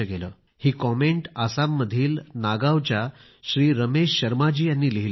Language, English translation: Marathi, Mr Ramesh Sharma from Nagaon in Assam has written this comment